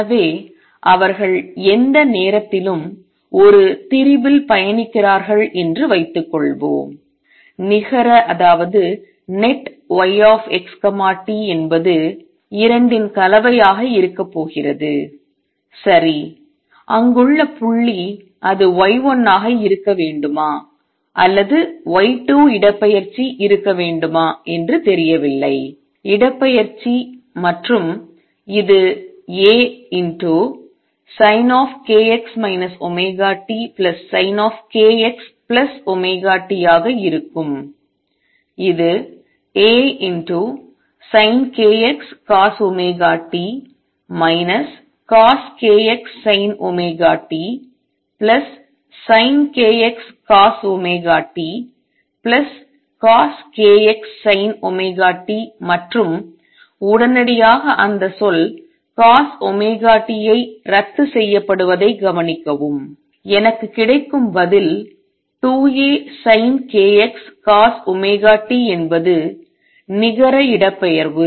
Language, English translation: Tamil, So, suppose they are travelling on a strain at any point, the net y x t is going to be a combination of the 2, right, the point there does not know whether it should be it y 1 or y 2 displacement in that displacement and this is going to be A sin of k x minus omega t plus sin of k x plus omega t which is A sin of k x cosine of omega t minus cosine of k x sin of omega t plus sin of k x cosine of omega t plus cosine of k x sin of omega t and immediately notice that term cosine omega t cancel, and the answer I get is 2 A sin of k x cosine of omega t that is the net displacement